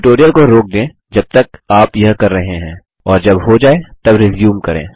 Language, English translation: Hindi, Pause this tutorial while you do this and resume when done